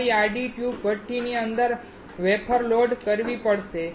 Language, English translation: Gujarati, You have to load the wafer inside the horizontal tube furnace